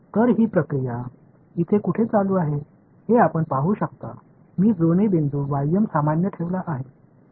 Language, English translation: Marathi, So, you can see where this process is going right here I have kept the matching point ym is kept general